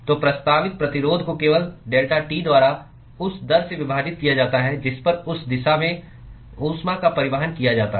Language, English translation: Hindi, So, resistance offered is simply given by delta T divided by the rate at which heat is transported in that direction